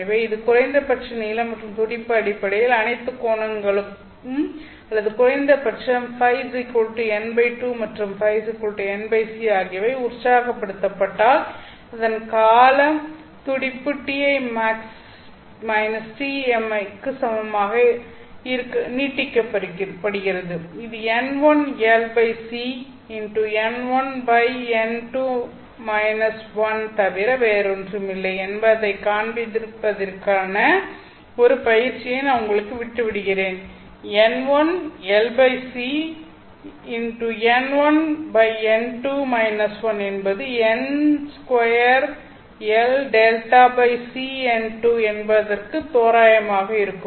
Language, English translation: Tamil, So this is the minimum length and the pulse essentially if you were to assume that all the angles or at least the angle at 5 equal to pi by 2 and 5 equal to 5 c are excited, then the duration with which the pulse gets stretched will be equal to t l max minus t l min and I'll leave this as an exercise to you to show that this is nothing but n1 l by c into n1 by n2 minus 1 which is approximately n1 square L delta divided by C into n2